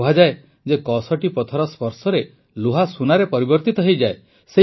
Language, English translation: Odia, It is said that with the touch of a PARAS, iron gets turned into gold